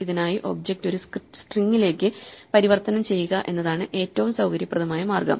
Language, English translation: Malayalam, And for this the most convenient way is to convert the object to a string